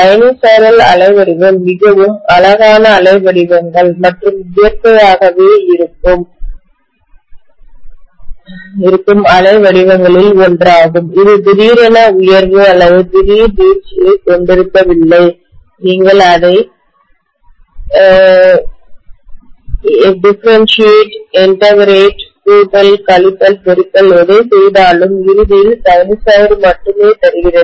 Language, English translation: Tamil, Sinusoidal waveform is one of the most beautiful waveforms and naturally existing waveform which hardly has abrupt rise or abrupt fall, you differentiate it, integrate it, summation, subtraction, multiplication, anything ultimately yields only sinusoid